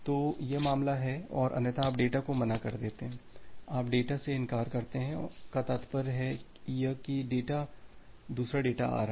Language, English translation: Hindi, So, that is the case and otherwise you refuse the data so, otherwise you refuse the data means from this else is coming